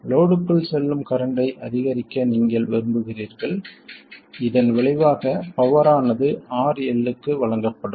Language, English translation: Tamil, You want to maximize the current that goes into this, consequently the power that is delivered to RL